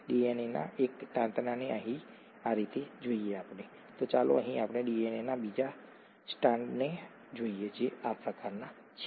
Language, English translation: Gujarati, Let us look at one strand of the DNA here like this, let us look at the other strand of DNA here that is like this